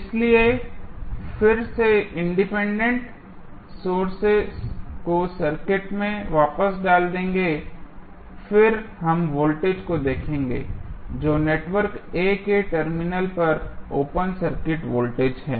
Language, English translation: Hindi, So, we will again put the Independent Sources back to the circuit, and then we will find the voltage that is open circuit voltage across the terminal of network A